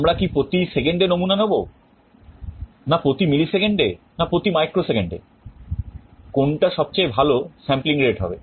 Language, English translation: Bengali, Should we sample once every second, once every millisecond, once every microsecond, what should be the best sampling rate